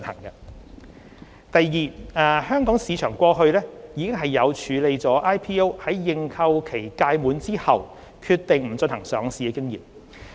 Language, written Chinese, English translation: Cantonese, 二香港市場過去已有處理 IPO 在認購期屆滿後決定不進行上市的經驗。, 2 The Hong Kong market has the experience of handling cases in which listing applicants decide not to proceed with listing after the end of the IPO subscription period